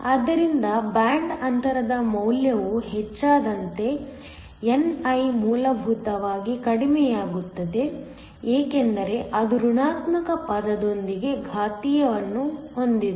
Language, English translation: Kannada, So, as the value of the band gap increases ni essentially goes down because it has an exponential with a negative term